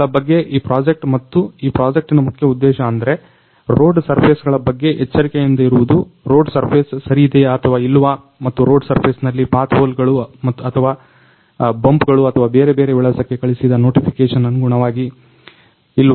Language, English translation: Kannada, So, this is the project about these things and the main purpose of this project is to aware about the road surfaces whether the road surface is bad or good and whether the road surface consists of potholes or bumps or not according to the notification is sent to the different address